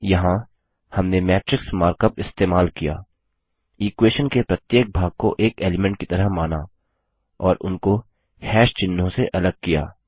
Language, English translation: Hindi, Here, we have used the matrix mark up, treated each part of the equation as an element and separated them by # symbols